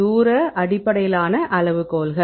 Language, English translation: Tamil, Distance based criteria